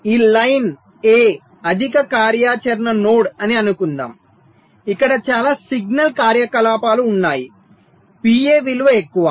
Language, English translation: Telugu, lets assume that this line a is a high activity node, where there is lot of signal activities, the value of p a is higher